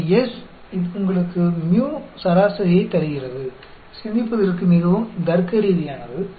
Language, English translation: Tamil, So, S, that gives you the mu mean; very logical to think about